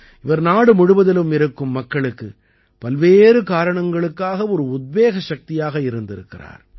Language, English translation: Tamil, She has been an inspiring force for people across the country for many reasons